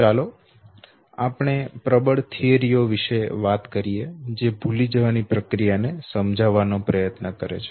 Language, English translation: Gujarati, So let us talk about the dominant theories which tries to explain the process of forgetting